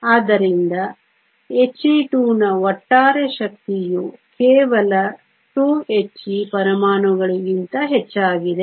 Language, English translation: Kannada, So, the overall energy of Helium 2 is higher than just 2 Helium atoms